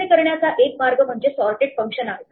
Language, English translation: Marathi, One way to do this is to use the sorted function